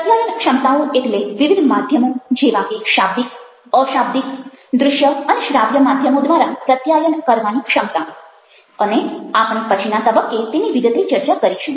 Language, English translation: Gujarati, communication abilities referred to, your abilities to communicate through various channels like verbal, nonverbal, visual auditory, and we shall discuss that in a detail way at a later point of time